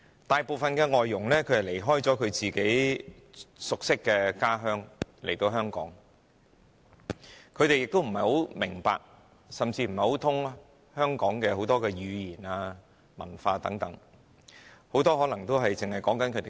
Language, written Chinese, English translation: Cantonese, 大部分外傭離開自己熟悉的家鄉來到香港，不大明白甚至不通曉香港的語言和文化，很多更可能只懂說自己的語言。, Most foreign domestic helpers have left their homeland to which they are closely attached and come to Hong Kong and work here . They do not understand very well or simply know nothing about the language and culture of Hong Kong and many of them may even speak their native tongue only